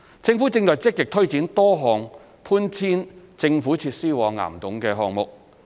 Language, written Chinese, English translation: Cantonese, 政府正積極推展多項搬遷政府設施往岩洞的項目。, The Government is taking forward actively a number of projects for relocating government facilities to caverns